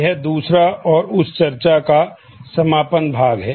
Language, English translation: Hindi, This is the second and concluding part of that discussion